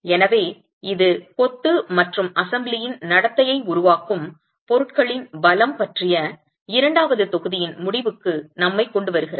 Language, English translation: Tamil, So that brings us to the end of the second module which is on the strengths of the materials that constitute the masonry and the behavior of the assembly itself